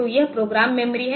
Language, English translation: Hindi, So, this is program memory